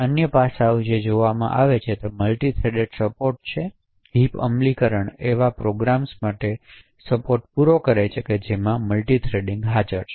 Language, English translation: Gujarati, The other aspect that comes into play is the multithreaded support, can the heap implementation actually provide support for programs which have multithreading present in it